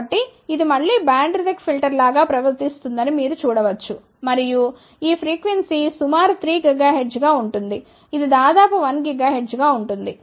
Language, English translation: Telugu, So, you can see here this will again behave like a band reject filter and you can see approximately this frequency is around 3 gigahertz this is around 1 gigahertz